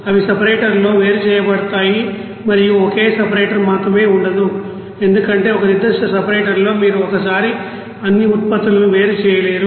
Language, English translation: Telugu, Those will be separated in a separator and there will not be only single separator because in a particular separator you cannot separate all the products at a time